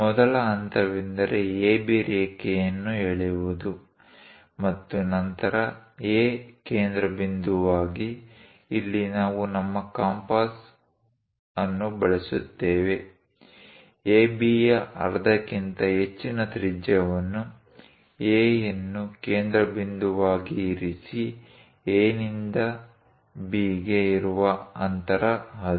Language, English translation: Kannada, The first step is draw a line AB and then with A as centre; so here we are going to use our compass; keep it as a centre and radius greater than half of AB; the distance from A to B is that